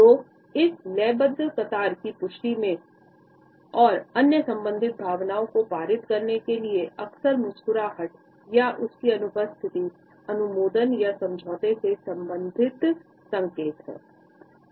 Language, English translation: Hindi, So, this rhythmical queue for affirmation and for passing on other related emotions is also often accompanied by smiling or its absence and at the same time other related signs of approval or agreement